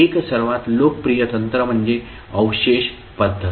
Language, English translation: Marathi, The one, the most popular technique is residue method